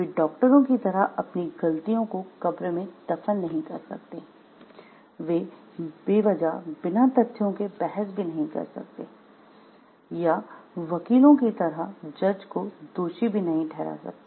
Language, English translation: Hindi, He cannot bury his mistakes in the grave like the doctors, he cannot argue into thin air or blame the judge like the lawyers